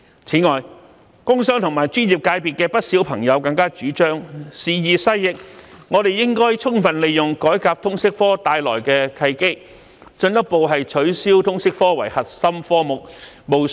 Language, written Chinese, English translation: Cantonese, 此外，不少工商和專業界的朋友表示，時移世易，應充分利用改革通識科帶來的契機，進一步取消通識科為核心科目。, Furthermore many members of the business and professional circles said that time has changed and we should make full use of the opportunities brought by the reform of the LS subject to further remove the LS subject from the core subjects